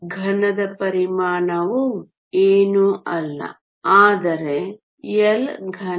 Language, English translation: Kannada, The volume of the cube is nothing, but L cube